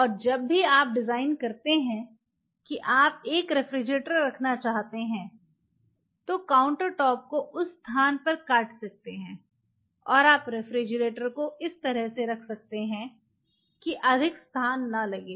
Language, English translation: Hindi, And whenever you design that you want to place a refrigerator you can have this part the countertop may be cut at that point and you can place the refrigerator in such a way that you are not conceiving that space